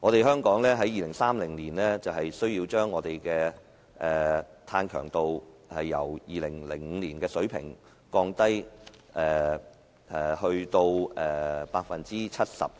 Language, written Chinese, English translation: Cantonese, 香港需要在2030年將碳強度由2005年的水平降低 70%。, Hong Kong needs to reduce carbon intensity by 70 % by 2030 compared with the 2005 level